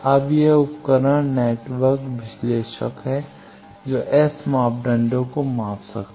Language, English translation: Hindi, Now, this is the device network analyzer that can measure the S parameters